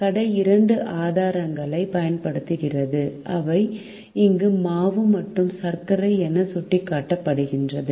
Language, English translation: Tamil, the shop uses two resources, which are indicated here as flour and sugar